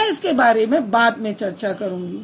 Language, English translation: Hindi, I'll talk about it later maybe